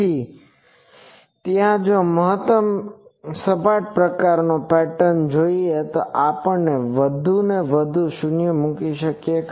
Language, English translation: Gujarati, So, there if I want a maximally flat type of pattern, then we put more and more zeros